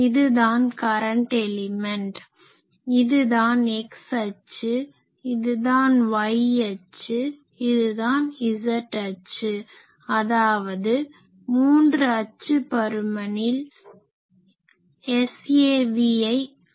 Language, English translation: Tamil, So, this is our current element this now let us say this is our y axis, this is our x axis, this is our z axis and in this three dimension we will plot this S average